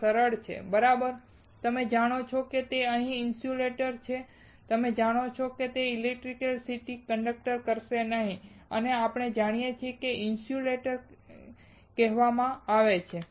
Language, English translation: Gujarati, So simple, right, they do not know that it is an insulator, they know it will not conduct electricity, and we know it is called insulator